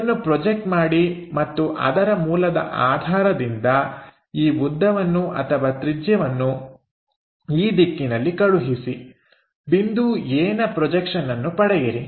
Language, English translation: Kannada, So, project that and based on this origin transfer this length or radius in this direction to get point a